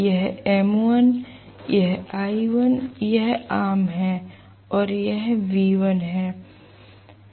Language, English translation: Hindi, This is m1, this is l1, this is common and this is v1